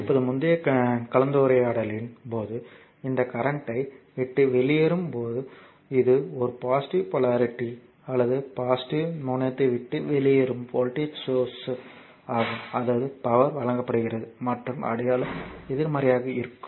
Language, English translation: Tamil, Now, previous when our previous discussion we are seen that, when that your current leaving the this is a voltage source current leaving the your positive polarity or positive terminal; that means, power is supplied and sign will be negative right